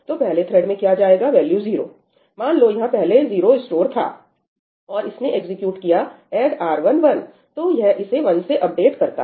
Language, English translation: Hindi, So, what will go to thread one the value 0, let us say 0 was stored over here first, right, and it executes ëadd R1 1í, so, it updates this to 1